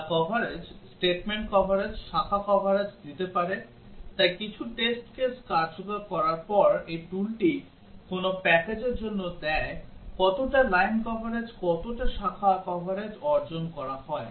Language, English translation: Bengali, Which can give the coverage, statement coverage, branch coverage so this tool after some test cases are executed gives that for which package, how much of line coverage how much of branch coverage is achieved